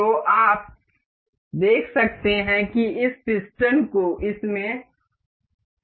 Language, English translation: Hindi, So, you can see that this piston has been fixed in this